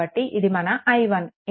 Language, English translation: Telugu, So, this is your i 1